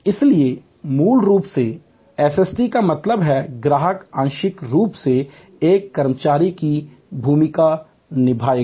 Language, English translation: Hindi, Fundamentally SST therefore, means that customer will play the part partially of an employee